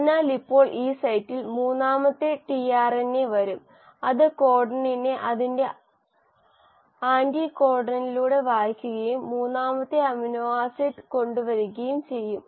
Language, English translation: Malayalam, So now at this site the third tRNA will come which will read the codon through its anticodon and will bring the third amino acid